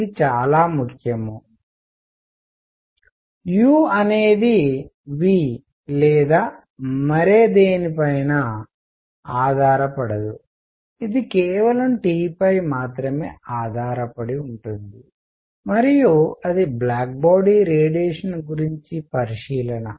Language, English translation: Telugu, This is very important, U does not depend on V or anything, it depends only on T and that is that is the observation about black body radiation